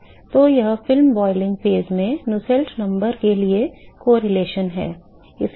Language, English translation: Hindi, So, that is the correlation for Nusselt number at the film boiling phase